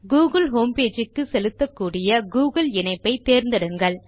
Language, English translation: Tamil, Choose the google link to be directed back to the google homepage